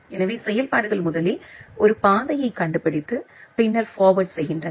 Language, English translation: Tamil, So, the functionalities are first finding a path and then doing forwarding